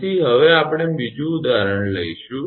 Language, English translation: Gujarati, So, next we will take another example